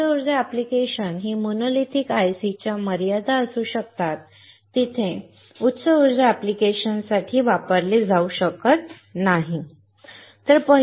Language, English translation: Marathi, So, high power application can be the limitations of monolithic ICs, where they cannot be used for high power applications